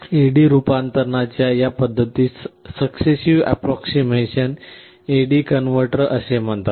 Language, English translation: Marathi, This method of A/D conversion is called successive approximation type A/D converter